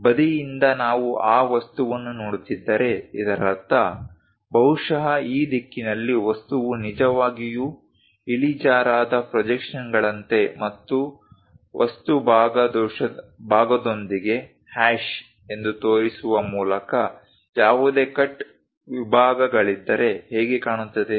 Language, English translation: Kannada, From side, if we are looking at that object, that means, perhaps in this direction, how the object really looks like inclined projections and also if there are any cut sections by showing it like a hash with material portion